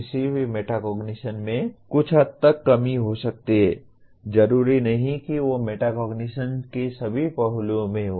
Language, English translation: Hindi, One can be deficient in some aspect of metacognition, not necessarily in all aspects of metacognition